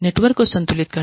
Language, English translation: Hindi, Balancing the network